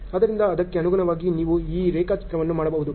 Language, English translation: Kannada, So, accordingly you can do this diagram